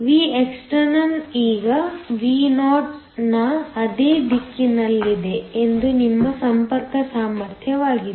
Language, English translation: Kannada, V external now is in the same direction of Vo naught which is your contact potential